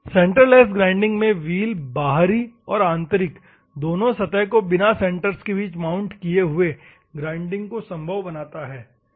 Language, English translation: Hindi, In a centreless grinding wheel makes it possible to grind the external and internal both surfaces without necessary to mount between the centres, ok